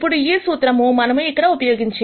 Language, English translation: Telugu, Now this formula is what we apply here